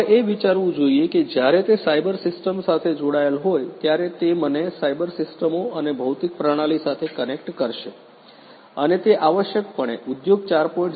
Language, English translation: Gujarati, You have to think when it is connect connected with you know the cyber system then that would connect me to cyber systems and the physical system, and that essentially is very good for Industry 4